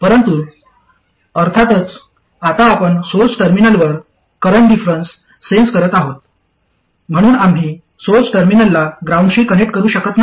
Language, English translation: Marathi, But of course now we are sensing the current difference at the source terminal so we cannot connect the source terminal to ground